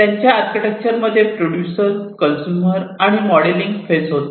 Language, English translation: Marathi, In their architecture they have the producer phase, they have the consumer phase, and the modelling phase